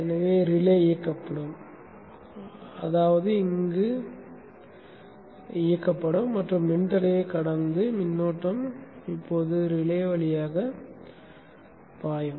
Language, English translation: Tamil, So the relay will turn on which means this will turn on and the current will now flow through the relay bypassing the resistor